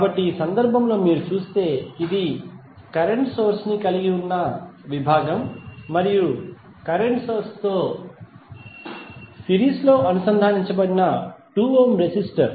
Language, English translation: Telugu, So, in this case if you see this is the segment which has current source and 2 ohm resistor connected in series with the current source